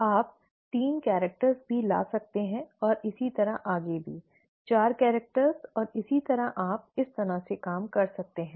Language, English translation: Hindi, You could also bring in three characters and so on and so forth; four characters and so on, then you can work this out